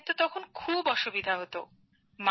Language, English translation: Bengali, The children used to face a lot of trouble